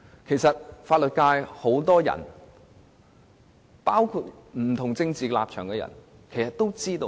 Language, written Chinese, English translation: Cantonese, 很多法律界人士，包括持不同政治立場的人其實都心中有數。, Many members of the legal profession including those holding different political stances actually have a pretty good idea of what is happening